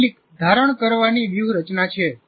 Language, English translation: Gujarati, These are some retention strategies